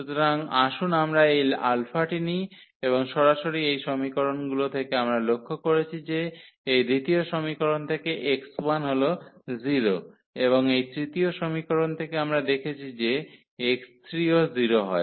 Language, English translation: Bengali, So, let us take this alpha and then directly from these equations we have observe that the x 1 is 0 from this second equation and from this third equation we observe that x 3 is equal to 0